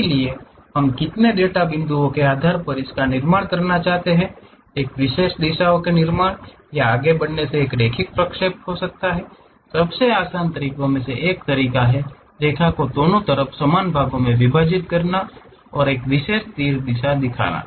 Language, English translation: Hindi, So, based on how many data points we would like to construct one can have a linear interpolation by creating or moving along a specialized directions one of the easiest way is dividing this line into equal number of parts on both sides and showing one particular arrow direction and try to loft along that surfaces